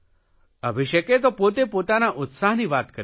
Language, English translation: Gujarati, Abhishek has himself narrated his excitement